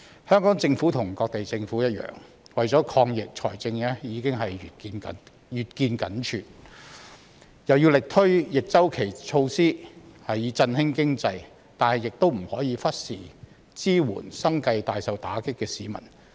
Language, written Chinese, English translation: Cantonese, 香港政府與各地政府一樣，為了抗疫財政已經越見緊絀，又要力推逆周期措施以振興經濟，但亦不可以忽視支援生計大受打擊的市民。, Like other governments around the world the fiscal position of the Hong Kong Government is getting worse due to its anti - epidemic work . While it has to implement counter - cyclical measures vigorously with a view to revitalizing the economy it must not neglect the support for members of the public whose livelihood have been hit hard